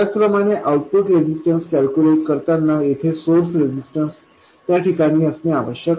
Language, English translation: Marathi, Similarly, while calculating the output resistance, the source resistance here must be in place